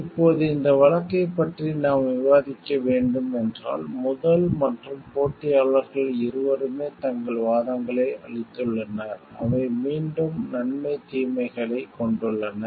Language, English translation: Tamil, Now, if we have to discuss this case, then we find that both the first and the competitors have given their arguments, which are again pro which consists of pros and cons